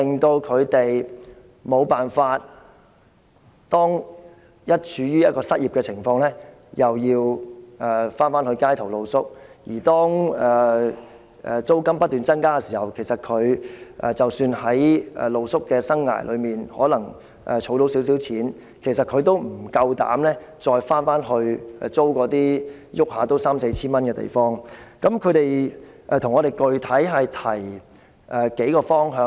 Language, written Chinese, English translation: Cantonese, 當他們處於一個失業的情況，便要到街頭露宿；而當租金不斷增加，即使他們在露宿生涯中可能儲到一點錢，他們也不敢租住動輒要三四千元租金的地方。, Being out of employment they have to live rough on the streets . With the constant increase in rents even if they are able to save some money while living rough they will hardly consider renting a place which may easily require a rent of some 3,000 to 4,000